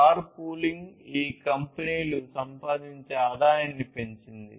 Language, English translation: Telugu, Car pooling has increased the revenues that can be earned by these companies